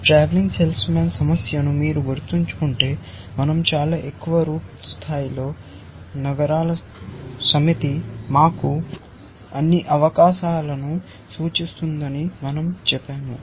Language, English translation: Telugu, If you remember the travelling salesman problem, we said that at the top most root level, the set of cities represent all possible to us